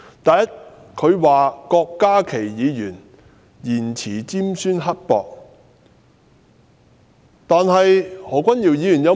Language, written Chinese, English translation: Cantonese, 第一，他批評郭家麒議員言詞尖酸刻薄。, First he reprimanded Dr KWOK Ka - ki saying that the words he used were scornful